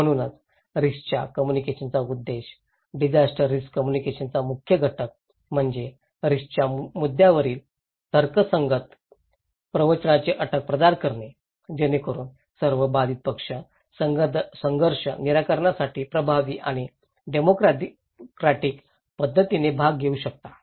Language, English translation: Marathi, So, one of the key component, objective of risk communication, disaster risk communication is to provide a condition of rational discourse on risk issues, so that all affected parties okay they can take part in an effective and democratic manner for conflict resolutions